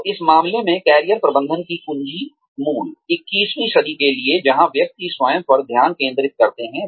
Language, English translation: Hindi, So, in this case, the key to Career Management, for the 21st century, where individuals focus on themselves